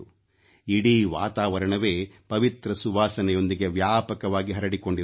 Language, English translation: Kannada, The whole environment is filled with sacred fragrance